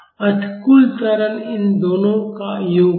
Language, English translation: Hindi, So, the total acceleration will be the sum of these two